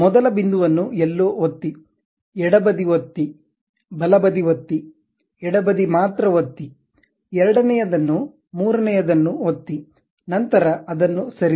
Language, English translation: Kannada, Pick first point somewhere click, left click, right click, sorry left click only, second one, the third one click then move it